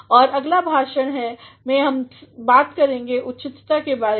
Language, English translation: Hindi, In the next lecture, we shall be talking about appropriateness